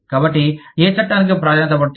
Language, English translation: Telugu, So, which law will take precedence